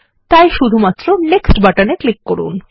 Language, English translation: Bengali, and click on the Next button